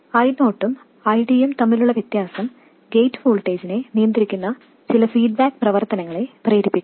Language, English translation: Malayalam, The difference between I 0 and ID triggers some feedback action that controls the gate voltage